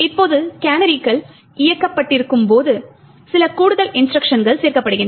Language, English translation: Tamil, Now when canaries are enabled there are a few extra instructions that gets added